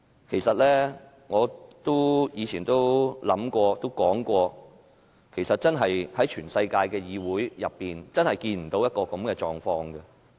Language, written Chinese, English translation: Cantonese, 其實，我以前都說過，在全世界的議會中，真是看不到現時這種狀況。, Indeed I have previously said that the current situation will not be found to be happening in any parliament over the world